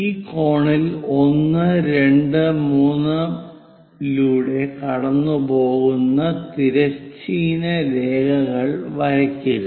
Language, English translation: Malayalam, Now draw horizontal lines passing through 1, 2, 3 on this cone